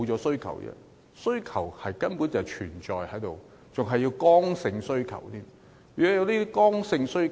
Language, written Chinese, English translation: Cantonese, 需求根本一直存在，而且更是剛性需求。, Such demand has in fact existed all along and it is inelastic in nature